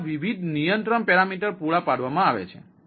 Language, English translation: Gujarati, so these are the different control parameters provided